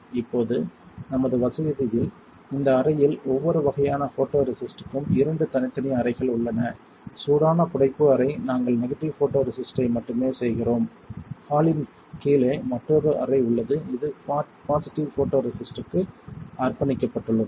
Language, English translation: Tamil, Now in our facility we have two separate rooms for each kind of photoresist in this room the hot embossing room we only do negative photoresist we have another room down the hall that is dedicated to positive photoresist